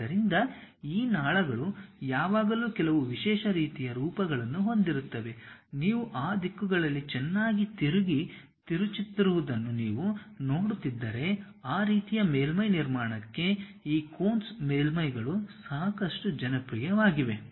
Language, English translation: Kannada, So, these ducts always have some specialized kind of form, if you are looking at that they nicely turn and twist in that directions, for that kind of surface construction these Coons surfaces are quite popular